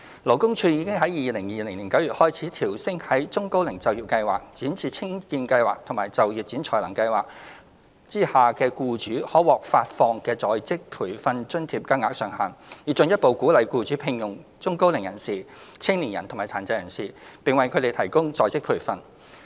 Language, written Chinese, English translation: Cantonese, 勞工處已於2020年9月開始，調升在中高齡就業計劃、展翅青見計劃及就業展才能計劃下僱主可獲發放的在職培訓津貼金額上限，以進一步鼓勵僱主聘用中高齡人士、青年人及殘疾人士，並為他們提供在職培訓。, The Labour Department LD has starting from September 2020 raised the ceiling of on - the - job training OJT allowance payable to employers under the Employment Programme for the Elderly and Middle - aged the Youth Employment and Training Programme and the Work Orientation and Placement Scheme with a view to further encouraging employers to hire the elderly and middle - aged young people and persons with disabilities and provide them with OJT